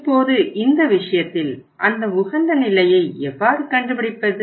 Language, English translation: Tamil, Now in this case, how to find out that optimum level